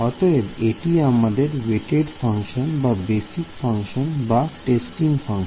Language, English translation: Bengali, So, W for; so, this is your weight function or basis function or testing function